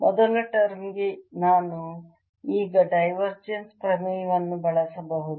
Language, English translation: Kannada, for the first term i can now use divergence theorem